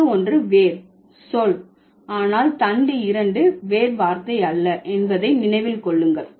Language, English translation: Tamil, And remember, the stem 1 is the root word, but stem 2 is not the root word